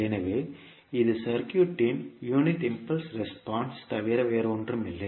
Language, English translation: Tamil, So this would be nothing but the unit impulse response of the circuit